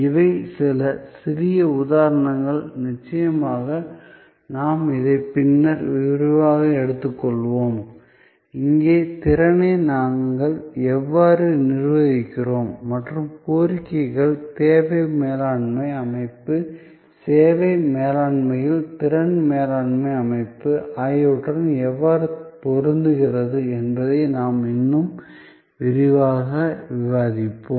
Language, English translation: Tamil, So, these are some little examples of course, we will take this up in more detail later on and how we manage these capacity and demand mismatch, the demand managements system, the capacity management system in service management, we will discuss in that more detail